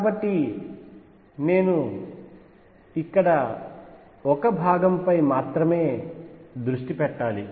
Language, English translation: Telugu, So, I need to focus only on one part here